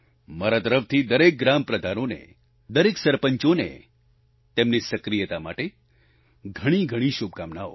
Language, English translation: Gujarati, For my part I wish good luck to all the village heads and all the sarpanchs for their dynamism